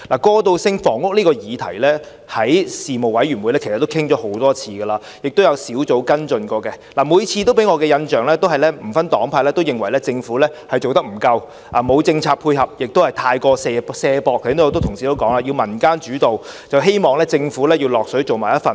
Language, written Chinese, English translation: Cantonese, 過渡性房屋這項議題，在事務委員會其實討論過很多次，亦有小組委員會跟進，每次給我的印象都是不分黨派皆認為政府做得不夠，沒有政策配合，過於卸責，正如剛才很多同事都提及，主要是以民間主導，希望政府能夠參與其中。, The issue of transitional housing has actually been discussed many times at Panel meetings and followed up by a Subcommittee . The impression I get every time is that without any distinction of political affiliation Members invariably think that the Government has not done enough or offered any policy support and it has shirked its responsibility . As mentioned by many Members earlier on its development is led mainly by community organizations and they hope that the Government can also play a part